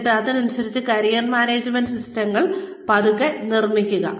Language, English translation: Malayalam, And then, slowly build the Career Management systems, according to that